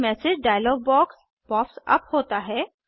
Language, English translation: Hindi, A message dialog box pops up